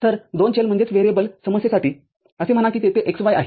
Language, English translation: Marathi, So, for a two variable problem, so say x y is there